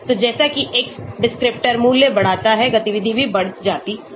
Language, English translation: Hindi, So as x descriptor value increases activity also increases